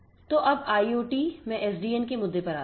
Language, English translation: Hindi, So, let us now get into the issue of SDN for IoT